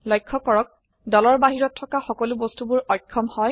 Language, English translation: Assamese, Notice that all the objects outside the group are disabled